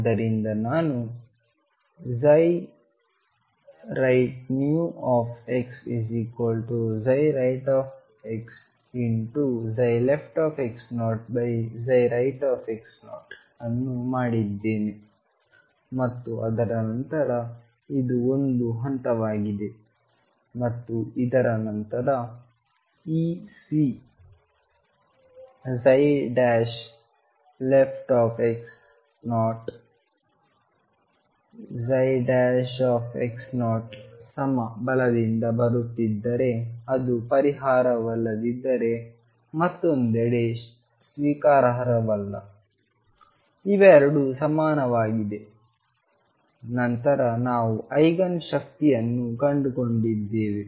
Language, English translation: Kannada, So, I have made psi right new x equals psi right x times psi left x 0 divided by psi right x 0 and then after that this is step one and after this, this C if psi prime left x 0 is same as psi prime x 0 coming from right if it is not the solution is not acceptable on the other hand if the 2 are equal then we have found the Eigen energy E